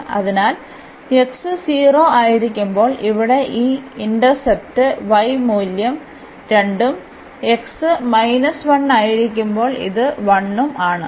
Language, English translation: Malayalam, So, this intercept here when x is 0, the y value is 2 and when x is minus 1 this is 1 here